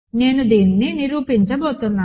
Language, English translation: Telugu, So, I am going to prove this